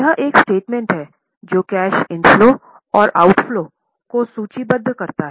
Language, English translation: Hindi, It is a statement which lists the cash inflows and outlaws